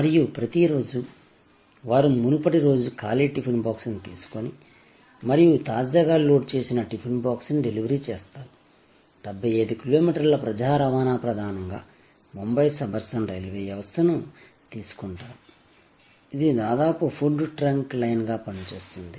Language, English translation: Telugu, And every day, they deliver the previous day’s empty tiffin box and pick up the freshly loaded tiffin box, 75 kilometers of public transport mainly the suburban railway system of Bombay, almost acts as a food trunk line